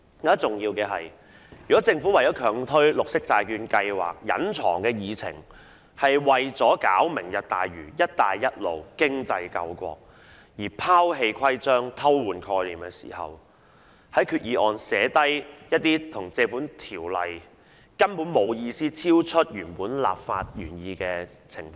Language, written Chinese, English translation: Cantonese, 更重要的是，如果政府強推綠色債券計劃的隱藏議程是為了"明日大嶼"、"一帶一路"、經濟救國而拋棄規章、偷換概念，在決議案訂明一些不見於《條例》亦超出原本立法原意的情況，又是否值得呢？, More importantly if the hidden agenda behind the Green Bond Programme forced through by the Government is to take forward the Lantau Tomorrow programme and the Belt and Road Initiative and save the country by economic means at the expense of rules and regulations with concept substitution providing for some circumstances unspecified in the Ordinance and beyond the original legislative intent in the Resolution is it worth it?